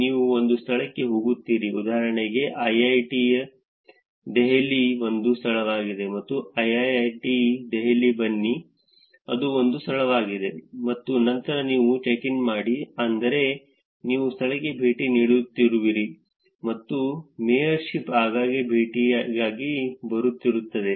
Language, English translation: Kannada, You go to a place, for example, IIIT Delhi is a venue, you come to IIIT Delhi, which is a venue, and then you do a check in, which is you are visiting the place and mayorship is for frequent visits